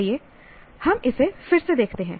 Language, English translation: Hindi, Okay, let us once again re look at it